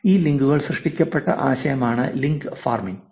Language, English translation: Malayalam, So, that is the idea for link farming